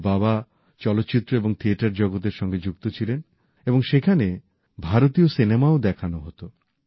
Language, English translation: Bengali, His father worked in a cinema theatre where Indian films were also exhibited